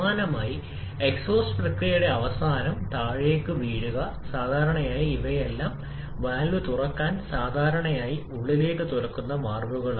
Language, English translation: Malayalam, Similarly blow down at the end of the exhaust process, to open the valve generally all these valves in commonly open inward